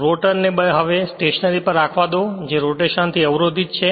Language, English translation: Gujarati, Now let the rotor be now held stationery that is blocked from rotation